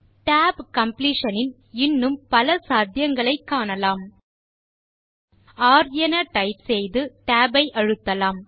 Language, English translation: Tamil, Lets see some more possibilities of tab completion just type r and then press the tab